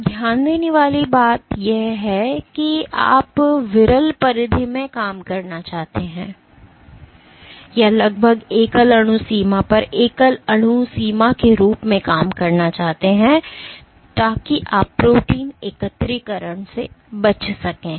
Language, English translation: Hindi, Now one thing to note is you want to operate at the sparse dilution or rather almost at the single molecule limit, as a single molecule limit so that you can avoid protein aggregation